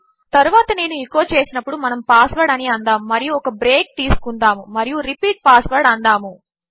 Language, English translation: Telugu, Then if I echo out, lets say, password and just have a break and repeat password